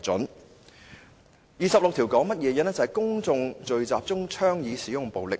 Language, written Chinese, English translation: Cantonese, 第26條是關乎公眾聚集中倡議使用暴力。, Section 26 is about proposing violence at public gatherings